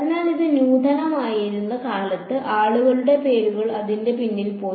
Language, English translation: Malayalam, So, back in the day when it was innovative people’s names went behind it